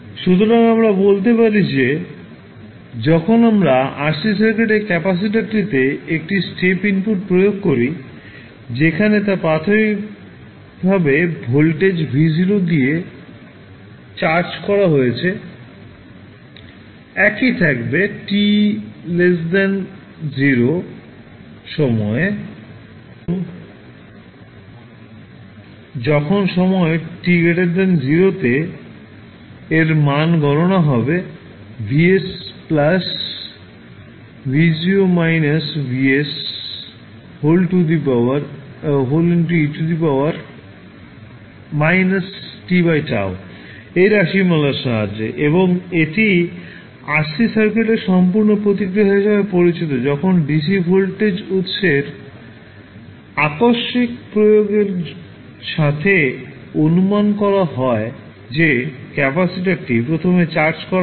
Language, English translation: Bengali, So, what we can say; that when we apply a step input to the rc circuit the capacitor which was initially charged with voltage v naught will remain same when time t less than 0 and when time t greater than 0 this value will be can be calculated with the help of this expression that is vs plus v naught minus vs into e to the power minus t by tau and this is known as the complete response of the rc circuit towards the sudden application of dc voltage source with the assumption that capacitor is initially charged